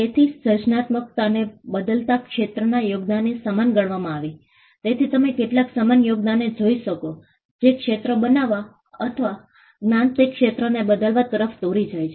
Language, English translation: Gujarati, So, creativity came to be equated with domain changing contributions, so you could look at some similar contribution that led to creation of a domain or changing the knowledge and that domain